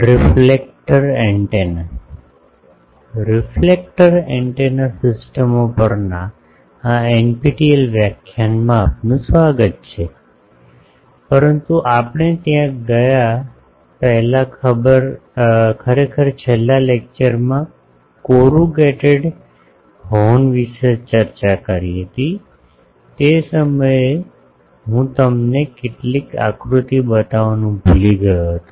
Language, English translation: Gujarati, Welcome to this NPTEL lecture on Reflector Antenna systems, but before going there actually in the last lecture we have discussed about corrugated horn that time I forgot to show you some diagrams